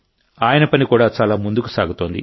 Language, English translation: Telugu, His work is also progressing a lot